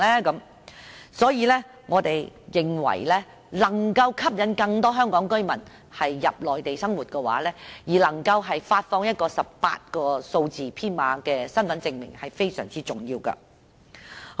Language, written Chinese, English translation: Cantonese, 因此，我們認為要吸引更多香港居民到內地生活，能夠發放一個18位數字編碼的身份證明是非常重要的。, This is the reason why we think it is very important to issue an identification with an 18 - digit number in order to induce more Hong Kong residents to live on the Mainland